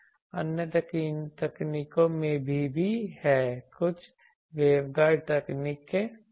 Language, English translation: Hindi, There are also other techniques some waveguide techniques etc